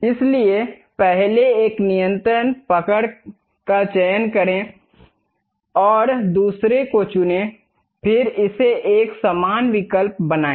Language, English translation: Hindi, So, select that first one control hold and pick the second one; then make it equal option